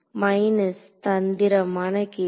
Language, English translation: Tamil, Minus trick question